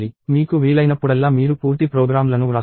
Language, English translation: Telugu, You write complete programs whenever you can